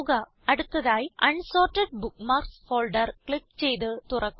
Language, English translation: Malayalam, Next, click on and open the Unsorted Bookmarks folder